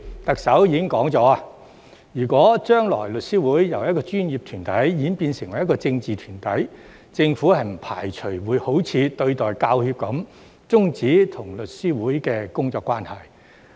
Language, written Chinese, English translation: Cantonese, 特首已說了，如果將來律師會由一個專業團體演變成一個政治團體，政府不排除會像對待香港教育專業人員協會般，終止與律師會的工作關係。, The Chief Executive has already said that if the Law Society morphs from a professional body into a political body in the future the Government does not rule out the possibility of ceasing its working relations with the Law Society just like what it has done with the Hong Kong Professional Teachers Union